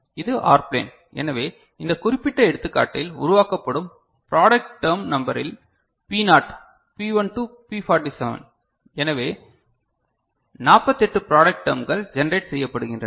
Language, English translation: Tamil, And this is the OR plane, so in the number of product term that is getting generated in this particular example is P naught, P1 to P47, so 48 product terms are getting generated ok